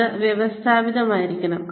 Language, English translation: Malayalam, It has to be systematic